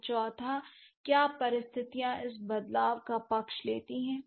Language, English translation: Hindi, And fourth, what conditions favor this change